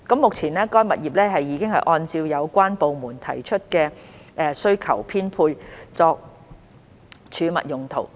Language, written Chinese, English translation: Cantonese, 目前，該物業已按照有關部門提出的需求編配作儲物用途。, The property is currently allocated for storage use at the request of the user departments